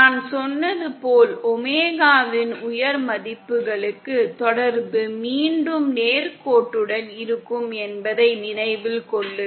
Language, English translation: Tamil, Note that as I said, for high values of omega, the relationship will again be linear